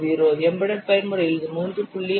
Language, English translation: Tamil, 0 and for embedded mode it is 3